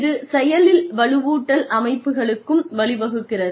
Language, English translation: Tamil, It also leads to active reinforcement systems